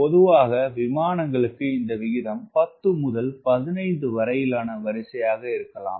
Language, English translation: Tamil, typically for airplane, this ratio could be a order of ten to fifteen